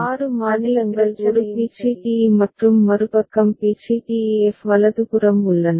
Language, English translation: Tamil, So, six states are there a b c d e and the other side b c d e f right